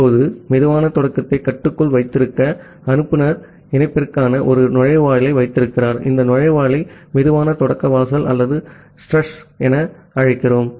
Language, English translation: Tamil, Now, to keep the slow start under control, the sender keeps a threshold for the connection, we call this threshold as the slow start threshold or ssthresh